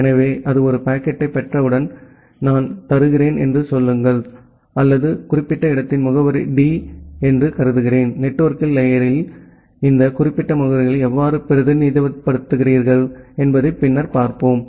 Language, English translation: Tamil, So, once it receives a packet, say I am giving or I am assuming that the address of this particular destination is D; later on we will see that how we represent this particular addresses in network layer